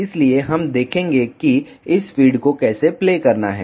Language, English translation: Hindi, So, we will see how to play this feed